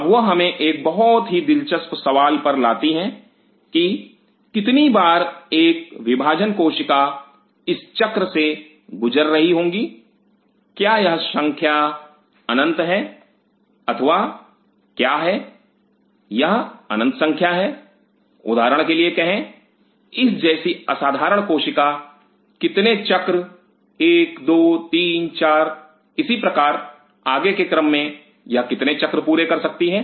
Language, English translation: Hindi, Now that brings us to a very interesting question that how many times a dividing cell will be going through this cycle is this number finite or is this number infinite say for example, a particular cell like this how many cycles 1 2 3 4 likewise one and so forth how many cycles it can do